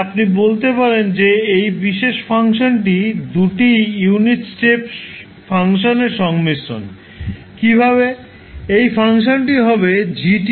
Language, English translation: Bengali, So you can say that this particular function is combination of two unit step function, how